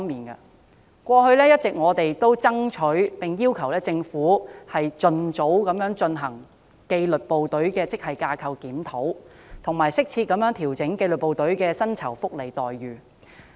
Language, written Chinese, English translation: Cantonese, 我們過去一直爭取及要求政府盡早進行紀律部隊職系架構檢討，以及適切調整紀律部隊的薪酬福利待遇。, We have been striving hard to demand that the Government review the grade structure of the disciplined services and adjust their remuneration packages appropriately as soon as possible